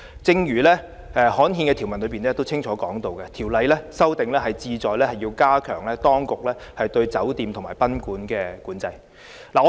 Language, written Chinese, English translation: Cantonese, 正如刊憲的條文清楚列明，修訂有關條例是旨在加強當局對酒店及賓館的規管和管制。, As clearly set out in the provisions which have been gazetted the purpose of amending the Ordinance concerned is to strengthen the regulation and control of hotels and guesthouses by the authorities